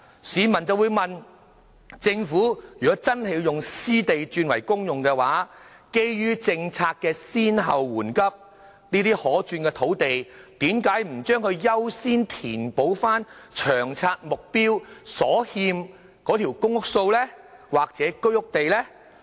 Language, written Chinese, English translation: Cantonese, 市民便會問，如果政府真的要把私地轉為公用，基於政策的先後緩急，這些可轉變用途的土地為何不優先填補《長遠房屋策略》目標所欠的公屋或居屋土地呢？, We will then ask this question if the Government converts private land into public use according to policy priorities why would these sites with changeable land use not be used for building PRH or HOS as a matter of priority so as to fulfil the target under LTHS?